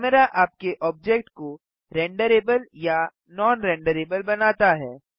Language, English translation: Hindi, Camera makes your object render able or non renderable